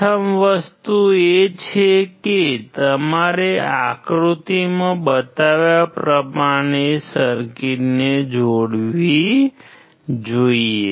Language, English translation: Gujarati, The first thing is you should connect the circuit as shown in figure